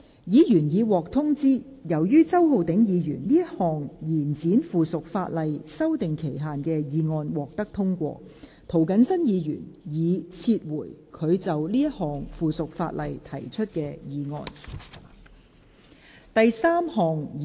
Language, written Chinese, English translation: Cantonese, 議員已獲通知，由於周浩鼎議員這項延展附屬法例修訂期限的議案獲得通過，涂謹申議員已撤回他就這項附屬法例提出的議案。, Members have already been informed that as Mr Holden CHOWs motion to extend the period for amending the subsidiary legislation has been passed Mr James TO has withdrawn his motion on this subsidiary legislation